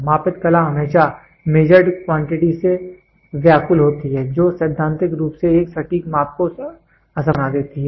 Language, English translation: Hindi, The measured quantity is always disturbed by the art of measurement, which makes a perfect measurement theoretically impossible